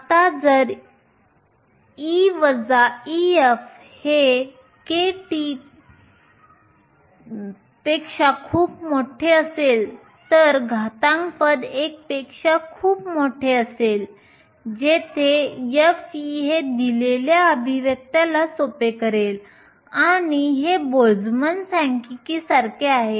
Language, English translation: Marathi, Now if e minus e f is much larger than k t then the exponential term will be much larger than 1 in which case f of e will simplify to this expression exponential minus e minus e f over k t and this resembles the Boltzmann statistics